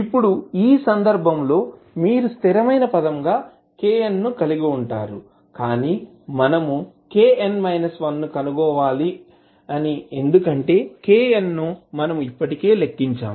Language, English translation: Telugu, Now, in this case, you will have k n as a constant term, but we need to find out k n minus 1 because k n we have already calculated